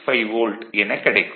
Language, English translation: Tamil, 65 volt right